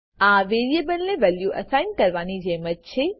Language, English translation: Gujarati, It is like assigning a value to a variable